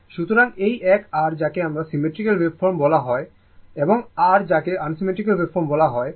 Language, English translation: Bengali, This is also ah unsymmetrical waveform this is also unsymmetrical waveform